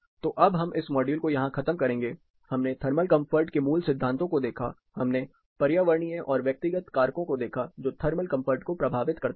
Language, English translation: Hindi, So, we will stop this module here, we looked at basics of thermal comfort and we looked at environmental and personal factors influencing thermal comfort